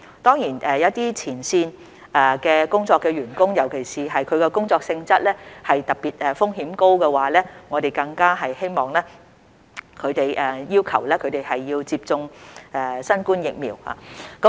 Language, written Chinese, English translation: Cantonese, 當然，一些在前線工作的員工，特別是其工作性質的風險特別高時，我們更加會要求他們必須接種新冠疫苗。, Of course for certain frontline personnel especially when their job nature involves particularly high risks we will make it even more compelling for them to receive the COVID - 19 vaccines